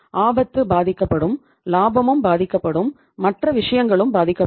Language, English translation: Tamil, Risk will also be impacted, the profit will also be impacted, and the other things will also be impacted